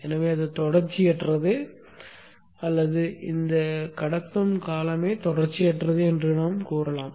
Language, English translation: Tamil, So that is why we say it is discontinuous or the conduction period itself is discontinuous